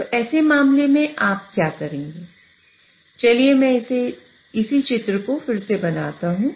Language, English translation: Hindi, So, what you would do in such a case is that, let me redraw the same figure